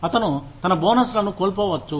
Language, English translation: Telugu, He may lose out, on his bonuses